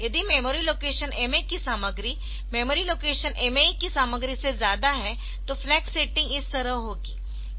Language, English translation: Hindi, If MA is content of memory location MA is less than content of memory location MA E then this will be the flag settings